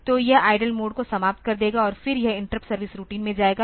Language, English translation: Hindi, So, it will terminate the idle mode and then it will go to the interrupt service routine